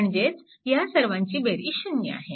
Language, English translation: Marathi, So, some some of the that thing are 0